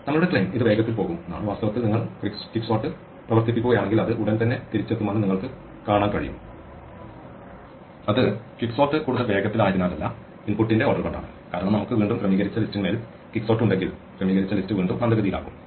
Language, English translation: Malayalam, Our claim is that this will go faster and indeed you can see that if you run quicksort on this it returns almost immediately and it is not because quicksort has become any faster, it is because of order of input, because again if we have quicksort on sorted list again it is going to be slow